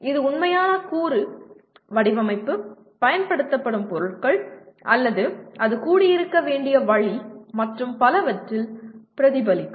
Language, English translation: Tamil, So it will get reflected in the actual component design, the materials used, or the way it has to be assembled and so on